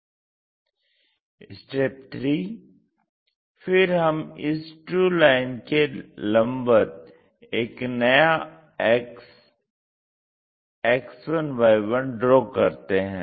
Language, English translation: Hindi, So, parallel to the true line, we are drawing this X 1, Y 1 axis